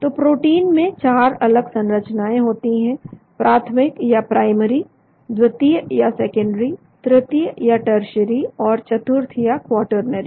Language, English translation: Hindi, so the proteins have 4 different structures: the primary, secondary, tertiary and quaternary